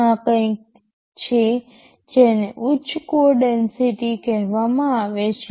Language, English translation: Gujarati, This is something called high code density